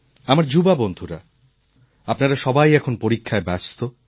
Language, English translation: Bengali, Some of my young friends must be busy with their examinations